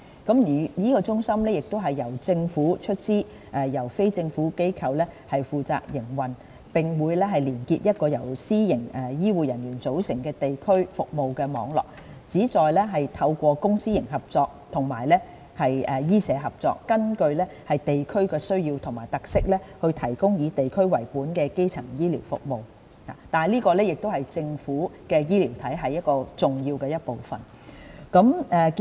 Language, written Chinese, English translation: Cantonese, 康健中心將由政府出資，由非政府機構負責營運，並會連結一個由私營醫護人員組成的地區服務網絡，旨在透過公私營合作和醫社合作，根據地區需要和特色提供以地區為本的基層醫療服務，這是政府醫療體系重要的一部分。, The DHC will be funded by the Government and operated by a non - government organization and it will form a district service network manned by private medical and healthcare practitioners . Its aim is to provide district - based primary healthcare services according to the needs and characteristics of the district through public - private partnership PPP and medical - social collaboration and this is an important part of the Governments healthcare system